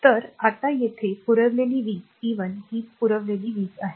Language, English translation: Marathi, So, power supplied now here so, p 1 is the power supplied